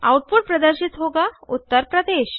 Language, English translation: Hindi, The output will display Uttar Pradesh